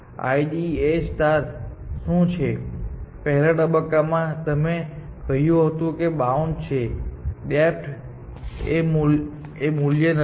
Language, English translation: Gujarati, So, what IDA star is, that in the first situation, you said that bound, well, depth is not the value